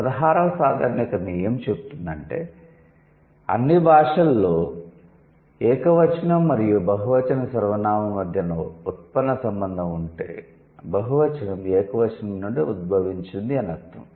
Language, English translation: Telugu, 16th generalization says in all languages, if there is a derivational relationship between the singular and the plural pronoun the plural is derived from the singular rather than vice versa